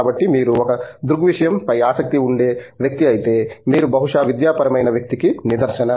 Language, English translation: Telugu, So, if you are like a phenomena kind of person, you are probably cut out for academic perceives